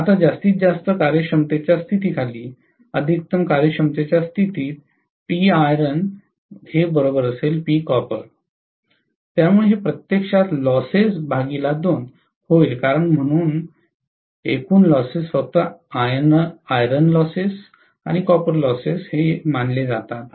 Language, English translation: Marathi, Now, under maximum efficiency condition right, under maximum efficiency condition P iron equal to P copper, so this will be actually losses by 2 because total losses are only considered to be iron loses and copper loses